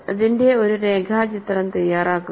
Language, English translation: Malayalam, Make a sketch of this